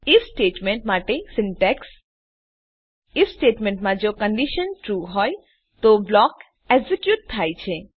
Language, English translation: Gujarati, Syntax for If statement In the if statement, if the condition is true, the block is executed